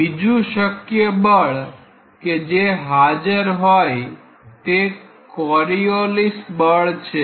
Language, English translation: Gujarati, Then other forces like there may be Coriolis force is present